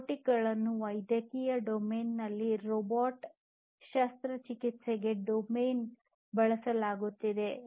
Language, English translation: Kannada, Robots are also used in medical domain for robotic surgery